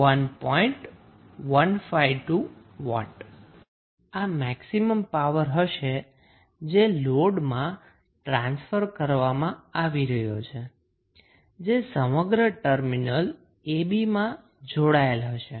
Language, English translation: Gujarati, 152 watt and this would be the maximum power which is being transferred to the load, which would be connected across the terminal AB